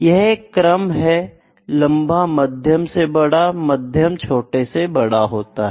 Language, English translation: Hindi, This is order, long is greater than medium is greater than smaller, ok